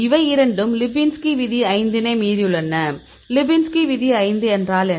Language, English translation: Tamil, So, these two violated the lipinski rule of 5; what is the lipinski rule of 5